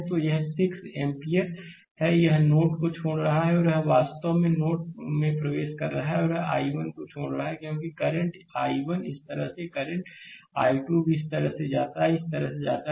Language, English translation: Hindi, So, this is 6 ampere, it is leaving the node and this i 2 is actually entering into the node and this i 1 is leaving because current i 1 goes like this current i 2 also goes like this, right goes like this right